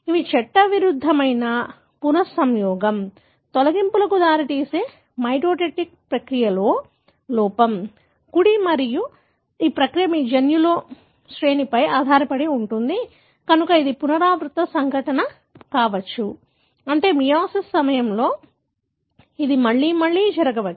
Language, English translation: Telugu, These are illegitimate recombination, the error during the mitotic process that can result in deletions, right and this process depends on your genome sequence, so it can be a recurrent event, meaning it can happen again and again during meiosis